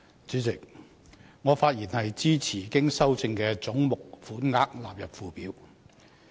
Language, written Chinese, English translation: Cantonese, 主席，我發言支持經修正的總目款額納入附表。, Chairman I speak to support that the sums for the heads as amended stand part of the Schedule